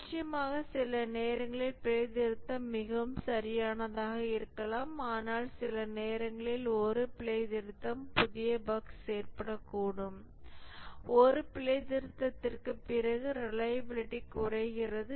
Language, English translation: Tamil, Of course, sometimes the fix may be very proper but sometimes a fix, bug fix may cause new bugs to arise and therefore the reliability decreases after a fix